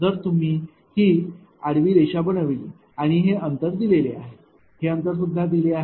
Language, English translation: Marathi, If you make a horizontal line thi[s] like this and this distance is given this distance is given